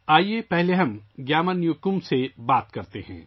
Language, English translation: Urdu, Let us first talk to GyamarNyokum